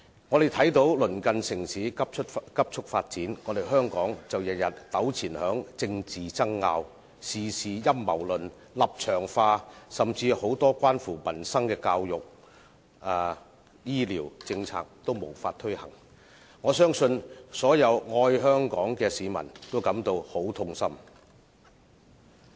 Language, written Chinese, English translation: Cantonese, 我們看到鄰近城市急速發展，香港卻每天糾纏於政治爭拗，事事陰謀論、立場化，甚至很多關乎民生的教育和醫療政策也無法推行，相信所有愛香港的市民也感到很痛心。, While our neighbouring cities have been developing rapidly Hong Kong is entangled in political disputes every day . Every matter is interpreted by a conspiracy theory with distinctive stands such that many education and medical policies relating to peoples livelihood cannot be taken forward . I believe all members of the public who love Hong Kong are saddened